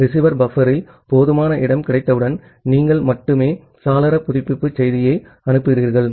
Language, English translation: Tamil, Once some sufficient space is available at the receiver buffer then only you send the window update message